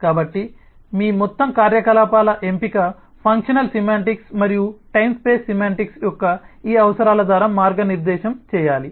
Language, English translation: Telugu, so your overall choice of operations should be guided by this requirements of the functional semantics and the time space semantics